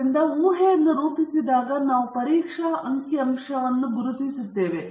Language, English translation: Kannada, So, when you formulate the hypothesis we identify a test statistic